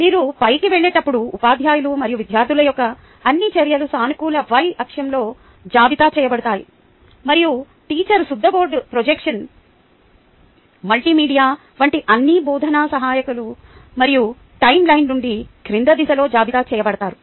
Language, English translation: Telugu, all the actions of teachers and students are listed in the positive y axis as you go up, and all the teaching aides that the teacher uses, like the chalkboard, projection multimedia and all that will be listed in the downward direction from the timeline